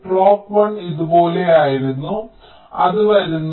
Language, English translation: Malayalam, clock one was like this, it was coming